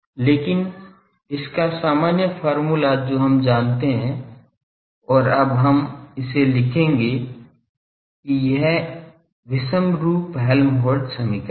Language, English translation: Hindi, But the general expression of this we know and we will now write it that this is inhomogeneous Helmholtz equation